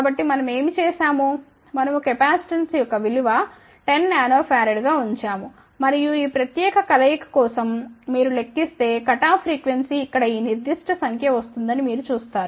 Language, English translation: Telugu, So, what we did we put the capacitance of 10 nanoferrite, 10 nanoferrite and you can calculate for this particular combination you will see that the cutoff frequency comes out to be this particular number over here